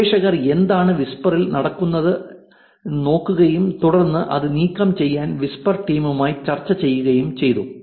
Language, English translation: Malayalam, So, they collected the data, the researchers looked at what is going on whisper and then went and had discussion with whisper team to remove this